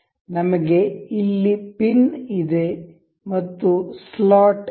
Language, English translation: Kannada, We have a pin and we have a slot